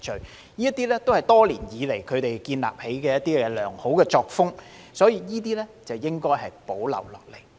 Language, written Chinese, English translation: Cantonese, 這些都是他們多年來建立的良好作風，所以應予保留。, All these are good practices they have established over the years so these practices should be retained